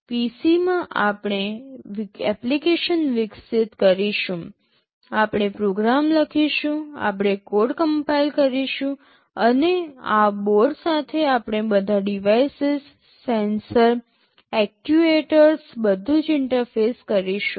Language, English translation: Gujarati, In the PC, we shall be developing the application, we shall be writing the program, we shall be compiling the code, and with this board we shall be interfacing with all the devices, sensors, actuators everything